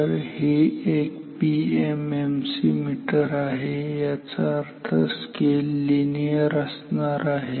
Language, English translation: Marathi, So, this is a PMMC meter; that means, the scale will be linear